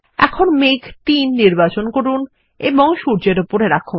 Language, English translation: Bengali, Now lets select cloud 3 and place it above the sun